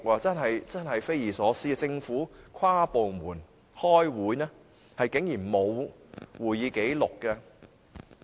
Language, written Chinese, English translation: Cantonese, 這的確是匪夷所思，政府舉行跨部門會議但竟然沒有會議紀錄。, This is really unbelievable for the Government to have held interdepartmental meetings without any records of meetings